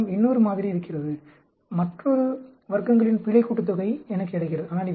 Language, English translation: Tamil, I have another model; I get another error sum of squares